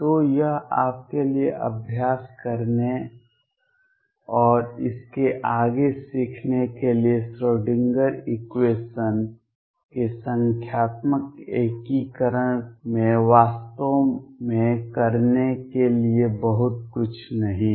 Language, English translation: Hindi, So, this is for you to practice and learn beyond this there is not really much to do in numerical integration of Schrödinger equation